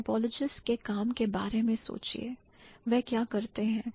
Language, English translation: Hindi, Think about the work of the typologies